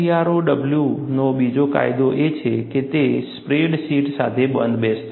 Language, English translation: Gujarati, Another advantage of AFGROW is, it is compatible with spreadsheets